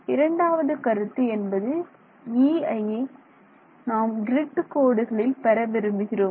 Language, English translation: Tamil, Second consideration is we would like to have E at the grid lines where the grid lines are